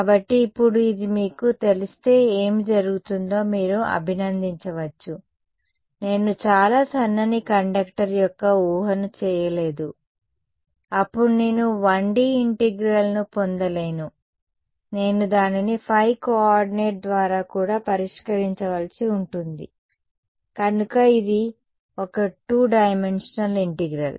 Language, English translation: Telugu, So now, you can appreciate what would happen if this you know, I did not make the assumption of very thin conductor, then I would not get a 1D integral, I would have to solve it over the phi coordinate also, so it is a two dimension integral